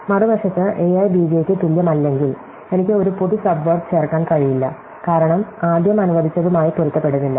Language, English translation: Malayalam, On the other hand, if a i is not equal to b j, then I cannot have a common subword adding to it, because the very first letter does not match